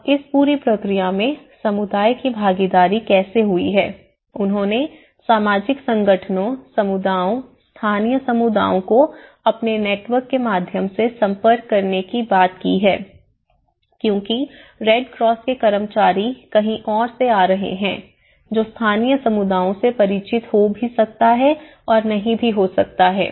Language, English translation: Hindi, Now, how this whole process the community participation has been approached one is, they talked about approaching through the social organizations, the communities, the local communities through their own networks so, because the Red Cross personnel will be coming from somewhere else who may or may not be familiar with the local communities and that is where the Adesco which is a kind of community organizations